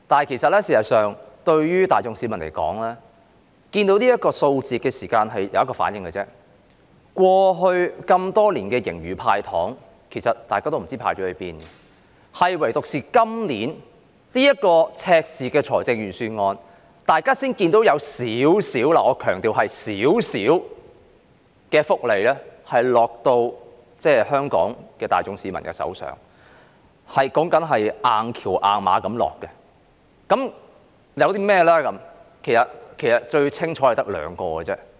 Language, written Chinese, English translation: Cantonese, 然而，市民大眾看到這個數字只有一個反應，就是過去多年，政府在盈餘預算下"派糖"，其實大家都不知道派到哪裏去了；唯獨在今年這份赤字預算案，大家才看到有少許福利——我強調是少許——"硬橋硬馬"地落到香港市民手上。, Yet when members of the public looked at the figure they only have one question in mind Where had the money gone as the Government has handed out candies for so many years under surplus budgets? . Only in this years deficit Budget can we see some meagre welfare benefits―I want to highlight the word meagre―going into the pockets of Hong Kong people